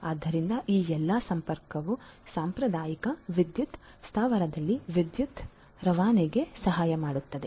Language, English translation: Kannada, So, all of these so, all these connectivity helps in the transmission of electricity in a traditional power plant